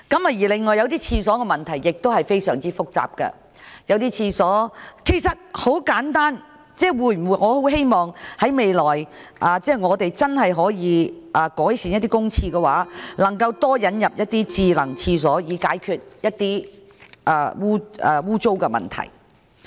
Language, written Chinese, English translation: Cantonese, 此外，洗手間的問題亦非常複雜，很簡單，我很希望政府未來真的可以改變一些公廁的設施，引入多些智能洗手間設施，以解決污穢等衞生問題。, Moreover the lavatory issue is also very complicated . It is simple . I hope the Government will change the facilities of some public lavatories by introducing some smart toilet facilities in order to improve the filth and hygiene conditions of public lavatories